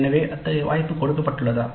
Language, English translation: Tamil, So is there such an opportunity given